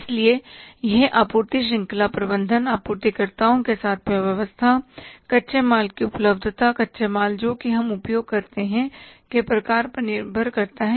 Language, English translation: Hindi, So that depends upon the supply chain arrangements, arrangements with the suppliers, availability of the raw material, type of the raw material we are using